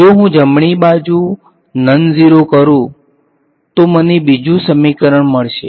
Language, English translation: Gujarati, If I make the right hand side non zero, I get the second equation